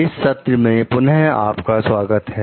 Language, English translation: Hindi, Welcome back to the session